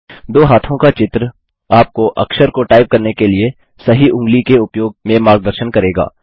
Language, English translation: Hindi, The two hand images will guide you to use the right finger to type the character